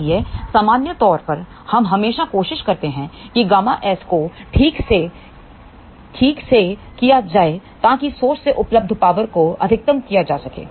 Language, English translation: Hindi, So, in general we always try that gamma S should be done properly so that power available from the source can be maximized